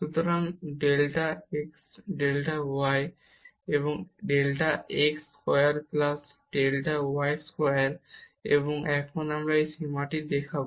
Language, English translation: Bengali, So, delta x delta y over delta x square plus delta y square and now we will see this limit